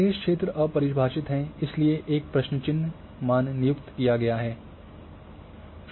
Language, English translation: Hindi, Remaining areas are undefined therefore they are a question mark values has been assigned